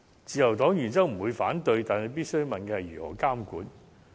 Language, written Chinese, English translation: Cantonese, 自由黨原則上不會反對這兩項建議，但必須問的是：如何監管。, The Liberal Party does not oppose these two suggestions in principle . But we must ask how these initiatives can be regulated